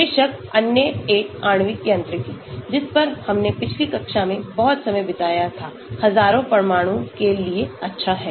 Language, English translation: Hindi, Of course, the other one molecular mechanics, which we spent a lot of time in the previous classes, is good for thousands of atoms